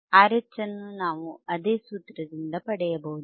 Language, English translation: Kannada, R H we can see by same formula and we can find R H